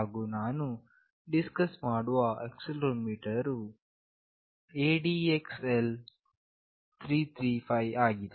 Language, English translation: Kannada, And the accelerometer that I will be discussing is ADXL 335